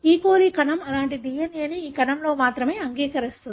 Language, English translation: Telugu, coli cell would accept only one such DNA in a cell